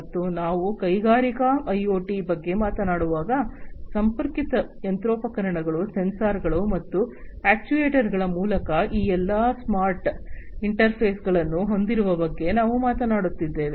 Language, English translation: Kannada, And all already you know when we are talking about industrial IoT, the connected machinery that we are talking about having all these smart interfaces through sensors and actuators